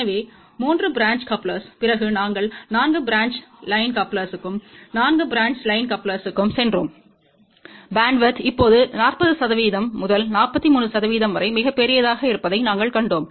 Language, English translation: Tamil, So, after the 3 branch coupler we went to 4 branch line coupler, and for 4 branch line coupler we had seen that the bandwidth is now much larger 40 percent to 43 percent